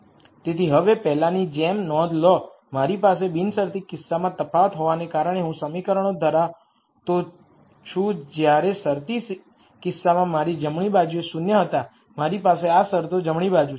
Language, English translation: Gujarati, So, now notice much like before I have n equations the difference being in the unconstrained case I had zeros on the right hand side in the constrained case I have these terms on the right hand side